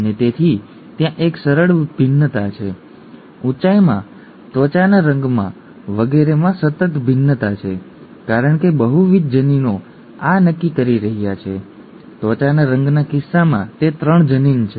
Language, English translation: Gujarati, And therefore there is a smooth variation, there is a continuous variation in heights, in skin colour and so on so forth, because multiple genes are determining this, in the case of skin colour it is 3 genes